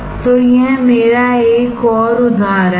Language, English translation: Hindi, So, this is my another one